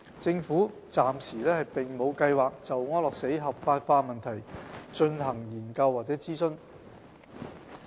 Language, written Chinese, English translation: Cantonese, 政府暫時並沒有計劃就安樂死合法化問題進行研究或諮詢。, The Government has no plans to carry out any study or consultation on the issue of legalizing euthanasia for the time being